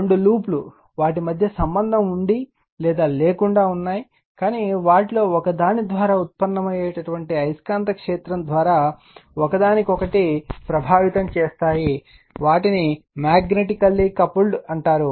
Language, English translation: Telugu, So, when two loops with or without contact between them affect each other through the magnetic field generated by one of them, they are said to be magnetically coupled right